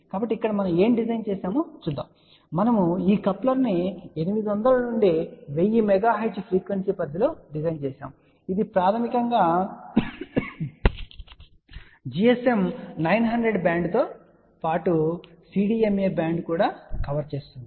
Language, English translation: Telugu, So, here the design let us see what we have done, so we have design this coupler for 800 to 100 megahertz frequency range this basically covers the you can say gsm 900 band as well as cdma band also